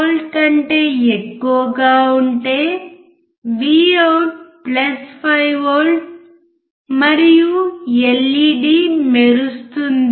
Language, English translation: Telugu, 5V, Vout is +5V and LED will glow